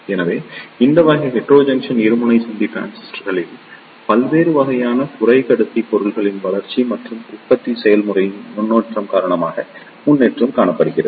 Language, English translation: Tamil, So, there is a progress in these type of Heterojunction Bipolar Junction Transistors due to the development of various type of semiconductor materials and due to the improvement in the manufacturing process